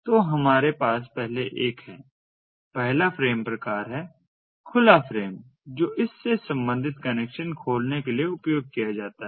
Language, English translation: Hindi, the first frame type is the open frame type, which is used for opening a connection